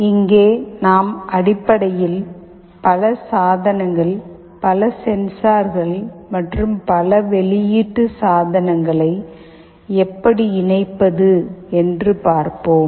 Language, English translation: Tamil, Here we shall basically be looking at how to interface multiple devices, multiple sensors and multiple output devices